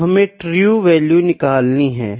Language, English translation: Hindi, So, we need to find the true value, ok